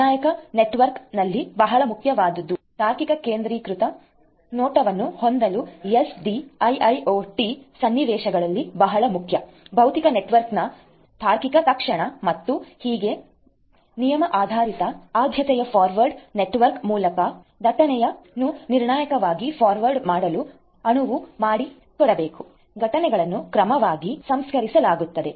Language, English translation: Kannada, Deterministic networking is very important here it is very important in SDIIoT scenarios to have the logical centralized view of the network, logical instantiation of the physical network and so on and rule based priority forwarding has to be implemented to enable deterministic forwarding of traffic over the network so that the events are processed in order